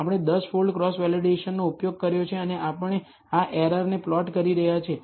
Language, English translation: Gujarati, We have used a 10 fold cross validation and we are plotting this error